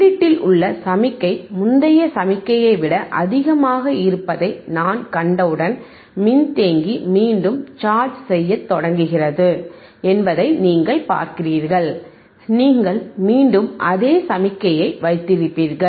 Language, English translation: Tamil, As soon as I see the signal at the input is higher than the previous signal higher than this particular signal right, you see the capacitor again starts charging again start chargingand you will again keep on holding the same signal